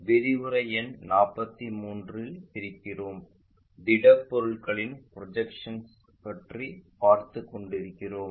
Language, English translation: Tamil, We are at lecture number 42 learning about Projection of Solids